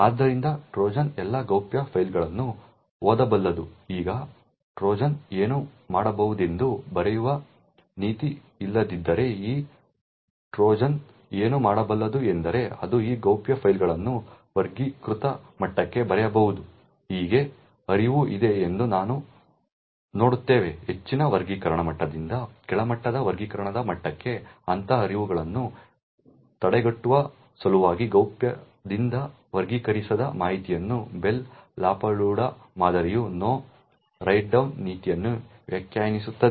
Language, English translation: Kannada, Therefore the Trojan can read all the confidential files, now what the Trojan can do if there is No Write Down policy what this Trojan could do is that it could write this confidential files to the classified level, thus we see that there is a flow of information from confidential to unclassified, in order to prevent such flows from a higher classification level to a lower classification level the Bell LaPadula model defines the No Write Down policy